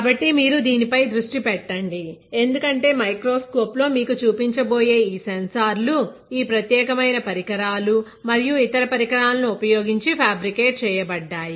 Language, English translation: Telugu, So, you just focus on this because these sensors that he will be talking about or showing you in the microscopes are fabricated using this particular equipment and other equipment